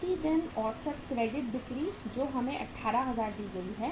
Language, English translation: Hindi, Average credit sales per day which is given to us is 18000